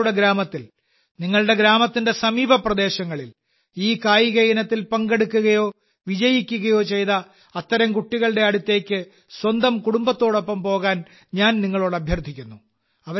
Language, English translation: Malayalam, I also urge you all to go with your family and visit such children in your village, or in the neighbourhood, who have taken part in these games or have emerged victorious